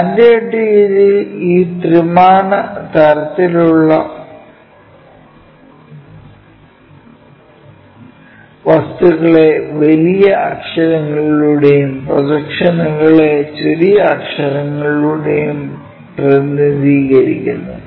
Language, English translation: Malayalam, Our standard convention is this three dimensional kind of objects we show it by capital letters and projections by small letters